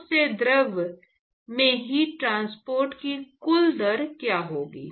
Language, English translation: Hindi, What will be the total rate of heat transport from the solid to the fluid